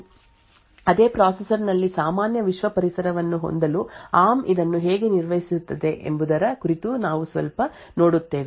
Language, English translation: Kannada, So, we look a little bit about how ARM actually manages this to have two environments secured and the normal world environment within the same processor